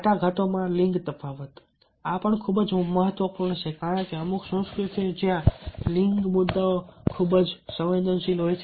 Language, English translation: Gujarati, gender difference in negotiation: this is also very, very important because there are certain cultures where gender issues are very, very sensitive